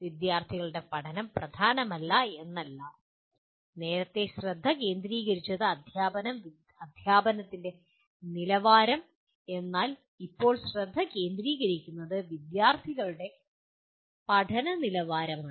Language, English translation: Malayalam, It is not that student learning was not important but the focus earlier was teaching, the quality of teaching but now the focus is quality of student learning